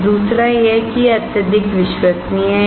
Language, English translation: Hindi, Second is that it is highly reliable